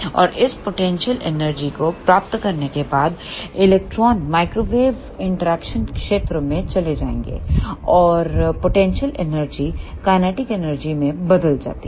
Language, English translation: Hindi, And after getting this potential energy, the electrons will move to the microwave interaction region, and of the potential energy is converted to the kinetic energy